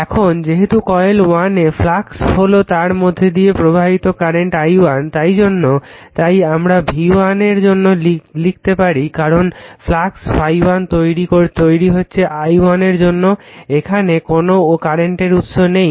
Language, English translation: Bengali, Now, again as the fluxes are cause by the current i1 flowing in coil 1, we can write for v 1 we can write because flux phi 1 is cause by your current i1 because,your coil 2 no current source is connected